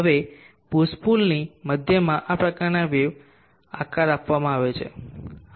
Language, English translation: Gujarati, Now this kind of wave shape is given to the center of the push pull